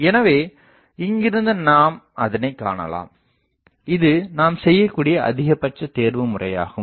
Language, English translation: Tamil, So, from here we can see that so, the maximise the maxi optimization that we can do